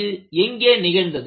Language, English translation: Tamil, And where this happened